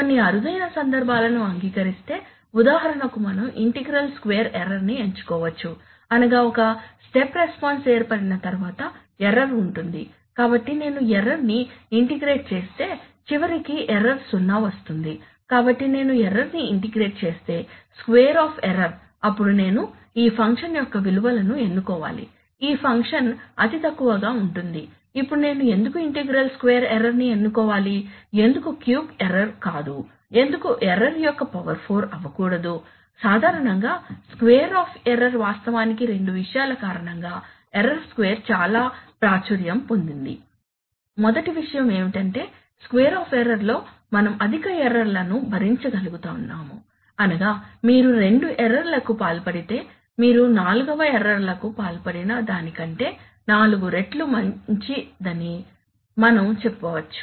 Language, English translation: Telugu, Accepting some rare cases, for example we can select the integral square error that is after a step response is generated there will be error, so if I integrate the error, the error will eventually come to zero, so if I integrate the error, the square of error then I should choose such values of gain such that this function is going to be the least, now why should I choose a square of error, why not cube of error, why not whole to the power 4 of error, generally square of error is actually very popular because, in what, because of two things